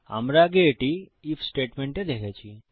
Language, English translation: Bengali, Weve seen this in the IF statement before